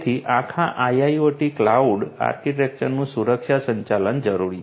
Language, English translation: Gujarati, So, security management of the whole IIoT cloud architecture right